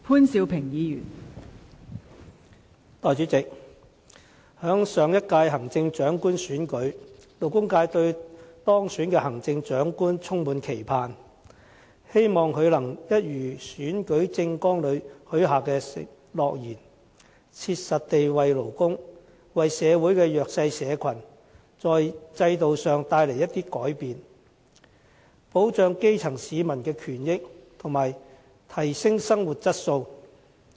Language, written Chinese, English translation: Cantonese, 代理主席，在上一屆行政長官選舉過後，勞工界對當選的行政長官充滿期盼，希望他能履行選舉政綱裏許下的諾言，切實地為勞工、為社會的弱勢社群，帶來一些制度上的改變，保障基層市民的權益和提升生活的質素。, Deputy President right after the last Chief Executive Election the labour sector was highly expectant hoping that the elected Chief Executive would honour the undertakings in his election manifesto and take concrete steps to bring about institutional changes for workers and the disadvantaged in society so as to protect the rights and interests of the grassroots and upgrade their quality of living